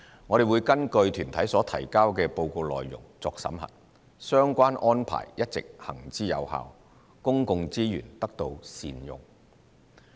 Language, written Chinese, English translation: Cantonese, 我們會根據團體所提交的報告內容作審核，相關安排一直行之有效，公共資源得到善用。, Operating effectively we would review the reports submitted by UGs to ensure prudent use of public resources